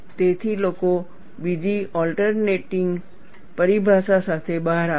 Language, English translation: Gujarati, So, people have come out with another alternate terminology